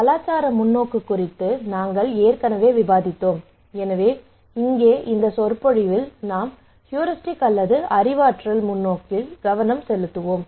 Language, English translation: Tamil, So we already had the discussions on cultural perspective here in this lecture we will focus on heuristic or cognitive perspective okay